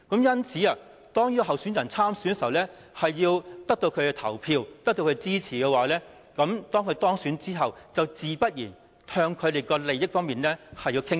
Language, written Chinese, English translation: Cantonese, 因此，特首候選人參選時，便要得到他們的投票和支持，而當選後，自然也要向他們的利益方面傾斜。, As a result when a person becomes Chief Executive election candidate he or she will try to secure votes and support from these people . And when he or she is elected it is very natural for him or her to tilt towards their interests